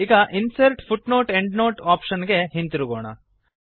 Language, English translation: Kannada, Lets go back to Insert and Footnote/Endnote option